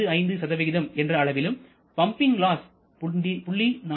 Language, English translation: Tamil, 55 and pumping loss of 0